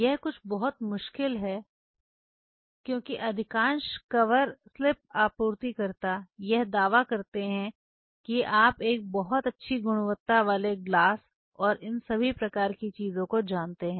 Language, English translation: Hindi, This is something very tricky because most of the cover slips suppliers they will claim that you know a very good quality glass and all these kinds of things